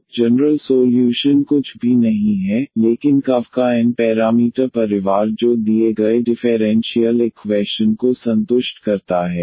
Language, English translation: Hindi, So, the general solution is nothing, but the n parameter family of curves which satisfies the given differential equation